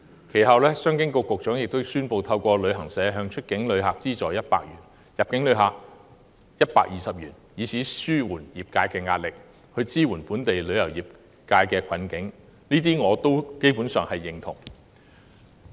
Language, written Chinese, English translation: Cantonese, 其後，商務及經濟發展局局長亦宣布透過旅行社向出境旅客資助100元及入境旅客120元，以紓緩業界壓力，協助本地旅遊業走出困境，而我基本上對這些措施表示贊同。, Subsequently the Secretary for Commerce and Economic Development announced a 120 subsidy for each inbound overnight visitor and a 100 subsidy for every outbound visitor to travel agents in order to alleviate the pressure on the industry and help local tourism industry out of the difficulties . I generally support these measures